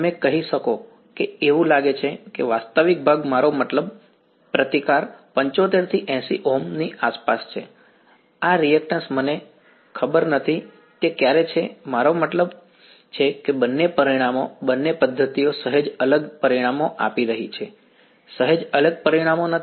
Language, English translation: Gujarati, You can say it seems that the real part I mean the resistance is around 75 to 80 Ohms, this reactance I do not know right it's sometime I mean both the results both the methods are giving slightly different results not slightly different results